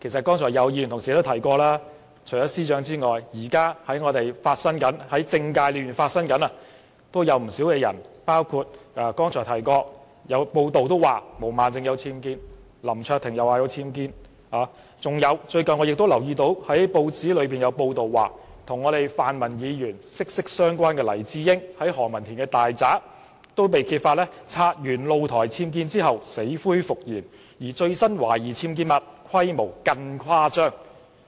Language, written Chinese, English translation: Cantonese, 剛才也有議員同事提及，除了司長外，現時政界亦有不少人士，包括剛才提到有報道指毛孟靜議員和林卓廷議員均家有僭建，我最近亦留意到有報章報道，與泛民議員關係密切的黎智英，也被揭發其在何文田大宅的僭建露台清拆後，死灰復燃，而最新的懷疑僭建物規模更是誇張。, As some Members have already pointed out other than the Secretary for Justice it has been reported that many people in the political arena including Ms Claudia MO and Mr LAM Cheuk - ting also have UBWs in their residence . Recently it was reported in the press that Jimmy LAI who has very close relationship with the pan - democratic Members was suspected of building a new balcony in his luxury home in Ho Man Tin to replace the unauthorized structure removed earlier . The newly building UBWs is even larger in scale